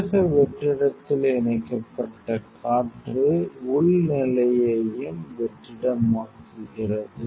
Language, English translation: Tamil, So, air connected in the vacuum internal also vacuum the internal stage